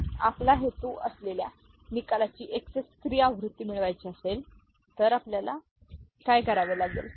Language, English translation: Marathi, So, if you want to get the XS 3 version of the result which is our intention, what we need to do